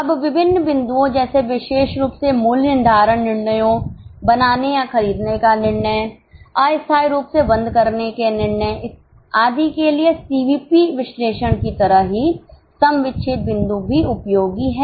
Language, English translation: Hindi, Now, break even point is also useful just like CVP analysis for various decisions, particularly for pricing decisions, make or buy decision, temporary shutdown decision and so on